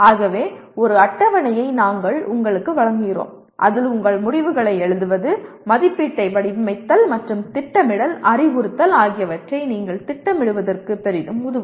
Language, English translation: Tamil, So we present you a table that can greatly facilitate your planning of your writing the outcomes, designing assessment, and planning instruction